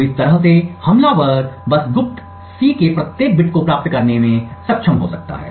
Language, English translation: Hindi, So, in this way the attacker could simply be able to obtain every bit of the secret C